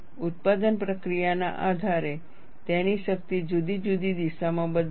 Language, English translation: Gujarati, Depending on the manufacturing process, its strength will vary on different directions